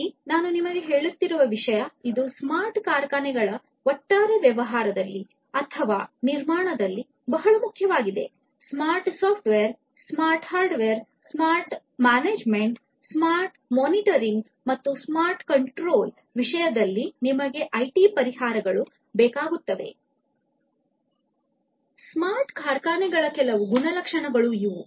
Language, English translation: Kannada, IT is something that I was also telling you, that it is very important in this overall business of or building smart factories, we need IT solutions in terms of smart software, smart hardware, smart management, smart monitoring, smart control